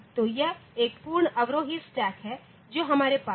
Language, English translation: Hindi, So, it is a full descending stack that we had there